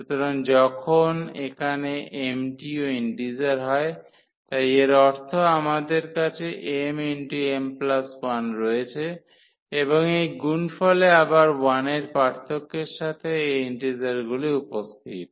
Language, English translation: Bengali, So, when here m is also integer, so; that means, we have m m plus 1 and so on this product again appearing of these integers with the difference of 1